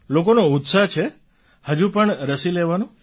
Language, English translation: Gujarati, Are people still keen to get vaccinated